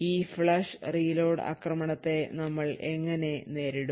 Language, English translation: Malayalam, So how we would actually counter this flush and reload attack